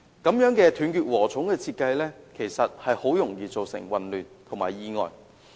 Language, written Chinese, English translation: Cantonese, 這種"斷截禾蟲"的設計，其實很容易造成混亂及意外。, Such fragmented design is likely to cause confusion and accidents